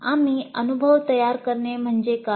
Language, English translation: Marathi, What we mean by framing the experience